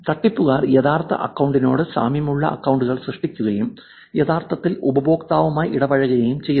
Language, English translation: Malayalam, The fraudsters create accounts which are very close to the real account and actually start interacting with the customer